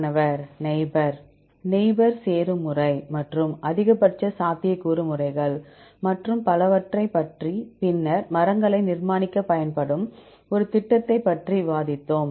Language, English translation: Tamil, neighbor Neighbor joining method and maximal likelihood methods and so on, then we discussed about a program which can be used to construct trees